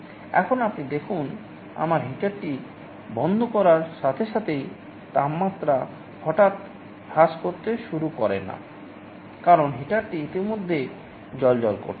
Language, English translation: Bengali, Now you see as soon as we turn off the heater, the temperature suddenly does not start to fall because, heater is already glowing